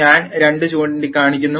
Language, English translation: Malayalam, I am just pointing out two